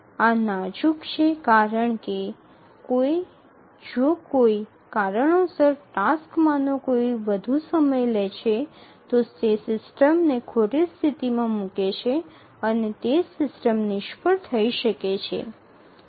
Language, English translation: Gujarati, These are fragile because if for any reason one of the tasks takes longer then it may leave the system in inconsistent state and the system may fail